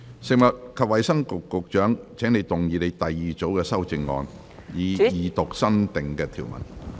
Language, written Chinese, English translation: Cantonese, 食物及衞生局局長，請動議你的第二組修正案，以二讀新訂條文。, Secretary for Food and Health you may move your second group of amendments to read the new clauses the Second time